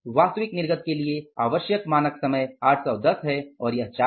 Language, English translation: Hindi, Standard average required for actual output is 810 and this is 4